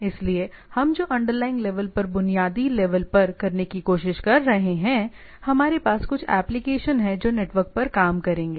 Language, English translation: Hindi, So, what we are trying to at done at the basic at the underlying level we have some applications which will work over the network